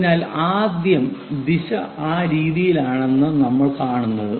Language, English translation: Malayalam, So, first we see that the direction is in that way